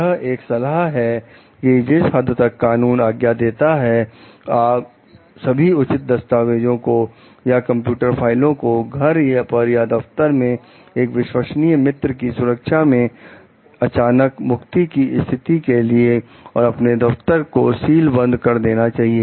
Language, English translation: Hindi, It advises that to the extent permitted by law, you keep copies of all pertinent documents or computer files at home, or in the office of a trusted friend to guard against the possibility of sudden discharge, and sealing off your office